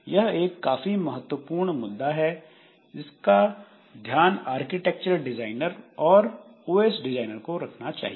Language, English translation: Hindi, And this is a very important issue that is that has to be taken care of by the architecture designers and OS designers